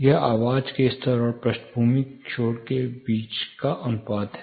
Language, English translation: Hindi, It is actually the ratio between the voice level and the background noise